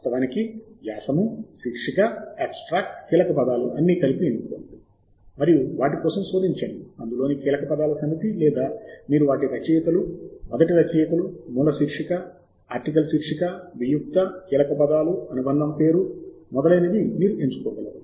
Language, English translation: Telugu, you can actually choose article title, abstract, keywords, all of them together and the search for a set of keywords in that, or you can choose them in author's first: author, source, title, article title, abstract keywords, affiliation, name, etcetera